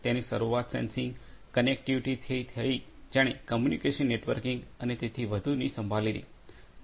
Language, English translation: Gujarati, It started with the sensing, sensing, connectivity which took care of communication networking and so on